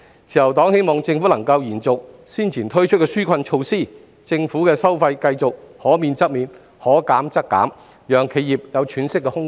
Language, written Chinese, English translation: Cantonese, 自由黨希望政府能夠延續早前推出的紓困措施，政府的收費繼續可免則免、可減則減，讓企業有喘息的空間。, The Liberal Party hopes that the relief measures previously introduced by the Government can continue and more waiversconcessions of government fees can be introduced by all means to give enterprises some breathing space